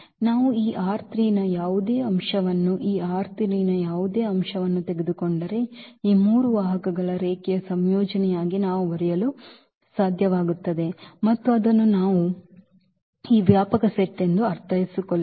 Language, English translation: Kannada, That if we take any element of this R 3 any element of this R 3, then we must be able to write down as a linear combination of these three vectors and that is what we mean this spanning set